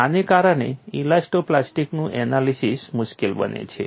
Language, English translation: Gujarati, This makes elasto plastic analysis difficult